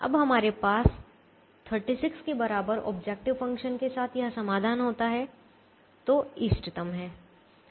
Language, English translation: Hindi, at this point, when we have this solution with objective function equal to thirty six, the optimum has been reached